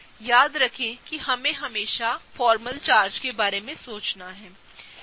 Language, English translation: Hindi, Remember we always want to think about formal charges